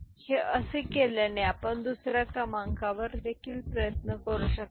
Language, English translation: Marathi, So, this is the way it is done you can try with some other number also right